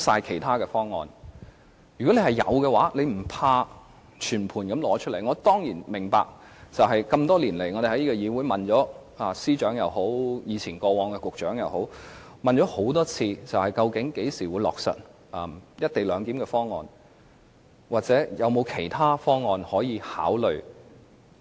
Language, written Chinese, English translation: Cantonese, 這麼多年來，我們一再詢問司長和局長，多次查詢究竟會在何時落實"一地兩檢"的方案？或有否其他的方案可以考慮？, Over the years we have asked the Secretaries time and again when a co - location proposal will be finalized or whether there are alternative proposals to be considered